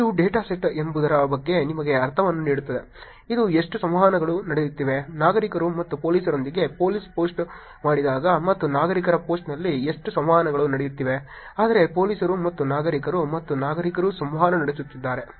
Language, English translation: Kannada, This just gives you sense of what the data set is, which is how much of interactions are happening, when police post with citizens and police, and how much of interactions are happening in citizen post, but police and citizens and citizens are interacting